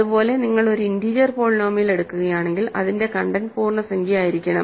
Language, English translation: Malayalam, Similarly, if you take an integer polynomial, right its content then that content must be integer